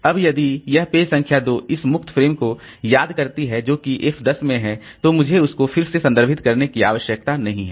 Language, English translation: Hindi, Now, if this page number 2, this free frame that is remembered that in a in F10 it is there, then I don't need to refer to that again